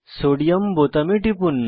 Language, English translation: Bengali, Let us click on Sodium button